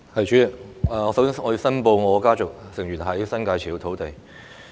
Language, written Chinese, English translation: Cantonese, 主席，我首先申報我的家族成員在新界持有土地。, President first of all I would like to declare that my family members own land in the New Territories